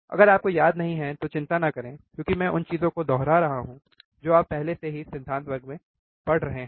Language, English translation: Hindi, Ah if you do not remember do not worry that is why I am kind of repeating the things that you have already been studying in the theory class